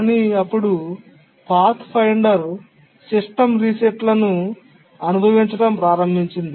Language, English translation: Telugu, But then the Pathfinder began experiencing system resets